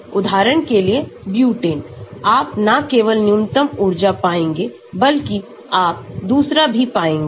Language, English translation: Hindi, Like for example butane, you will not find only the minimum energy but you will find the other one also